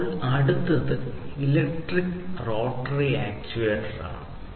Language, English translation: Malayalam, Then the next one is electric rotary actuator